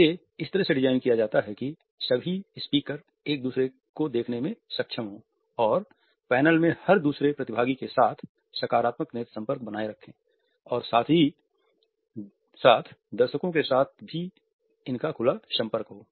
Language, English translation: Hindi, It should be designed in such a way that all these speakers are able to look at each other maintain a positive eye contact with every other participant in the panel as well as they have an unobstructed eye contact with the audience also